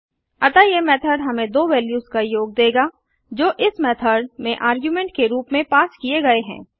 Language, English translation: Hindi, So this method will give us the sum of two values that are passed as argument to this methods